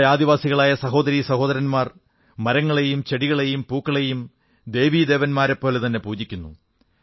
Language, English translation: Malayalam, Our tribal brethren worship trees and plants and flowers like gods and goddesses